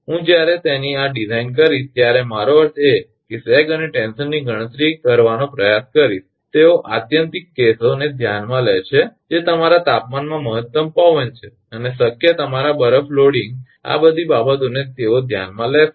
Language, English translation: Gujarati, I will when they design this I means try to compute sag and tension they consider the extreme cases that is your temperature maximum wind and possible your ice loading all these things they consider